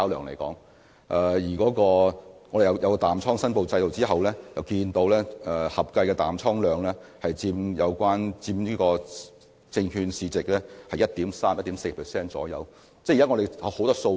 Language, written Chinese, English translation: Cantonese, 在設立淡倉申報制度後，我們得知合計淡倉量約佔有關證券市值 1.3% 至 1.4%。, With the establishment of the short position reporting regime we learnt that the aggregated short position is about 1.3 % to 1.4 % of the relevant market value of securities